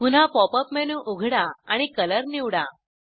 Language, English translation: Marathi, Open the Pop up menu again and select Color